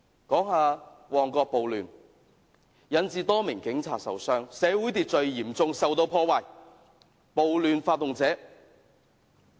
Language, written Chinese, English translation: Cantonese, 談到旺角暴亂，多名警察受傷，社會秩序受到嚴重破壞。, Regarding the Mong Kok riot a number of police officers were injured and social order was seriously damaged